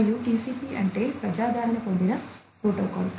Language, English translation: Telugu, And, what was TCP is a popularly used protocol present